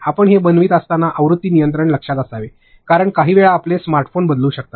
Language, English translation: Marathi, And also version control; when you are making these, because sometimes your smartphones may change